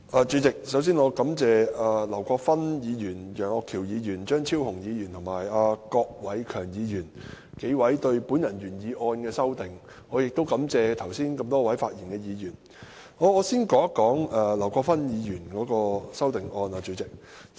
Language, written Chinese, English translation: Cantonese, 主席，首先，我感謝劉國勳議員、楊岳橋議員、張超雄議員及郭偉强議員就我的原議案提出修正案，亦感謝多位剛才發言的議員。, President first of all I thank Mr LAU Kwok - fan Mr Alvin YEUNG Dr Fernando CHEUNG and Mr KWOK Wai - keung for proposing amendments to my original motion . I also thank Members who have spoken in the debate